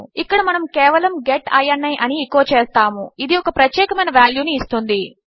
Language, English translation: Telugu, Here we just say echo get ini which gets a specific value